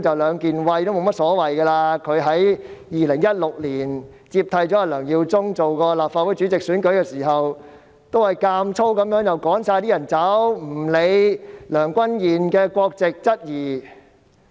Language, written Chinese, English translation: Cantonese, 石議員在2016年接替梁耀忠議員主持立法會主席選舉時，也曾強行趕走其他人，並且不理會梁君彥的國籍受質疑。, When Mr SHEK took over from Mr LEUNG Yiu - chung the chairmanship to preside over the election of the President of the Legislative Council in 2016 he also forcibly drove other Members away and disregarded the queries about Andrew LEUNGs nationality